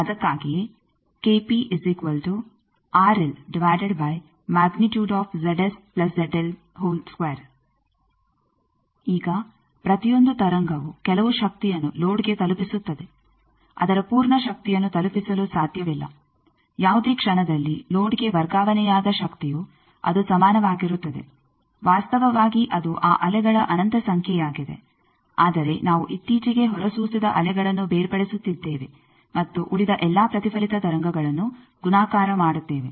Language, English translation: Kannada, Now each wave deliver some power to the load cannot deliver it is full power at any instant power delivered to the load will be is equal to mainly actually it is infinite number of those waves they are some, but we are separating that just recently emitted wave and all other multiply reflected waves